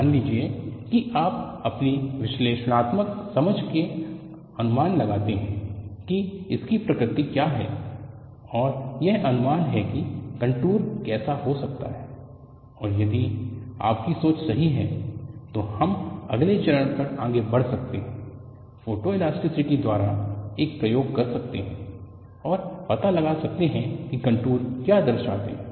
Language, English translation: Hindi, Suppose you anticipate from your analytical understanding, what is the nature, and predict this is how the contour could be, and if your thinking is correct, we can proceed to the next step, perform an experiment by photoelasticity, and find out what those contours represent